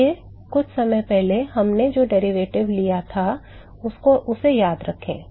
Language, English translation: Hindi, So, remember the derivatives we took a short while ago